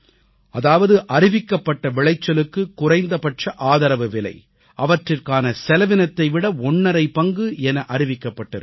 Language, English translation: Tamil, It has been decided that the MSP of notified crops will be fixed at least one and a half times of their cost